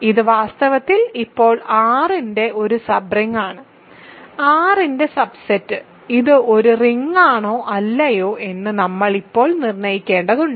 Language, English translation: Malayalam, So, this is in fact a sub ring of R now right; subset of R, we have to still determine if it is a ring or not